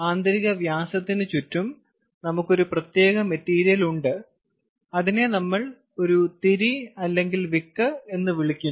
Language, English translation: Malayalam, so around the inner diameter, we have a special material which we call a wick